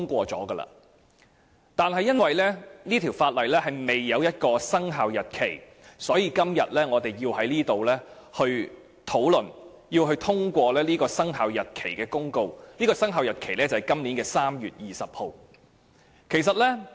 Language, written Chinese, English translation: Cantonese, 可是，由於該項修訂規例未有生效日期，所以今天我們便要在此討論及通過有關生效日期的公告，而生效日期是今年3月20日。, However since the commencement date of the Amendment Regulation has yet to be determined we have to discuss and pass the Commencement Notice today and the commencement date is 20 March this year